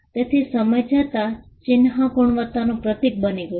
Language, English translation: Gujarati, So, the mark over the period of time became symbols of quality